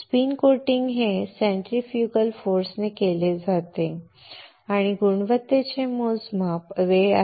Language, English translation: Marathi, Spin coating is done by a centrifugal force and the quality measure is time